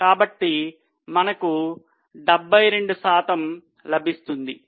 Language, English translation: Telugu, So, I'm 72%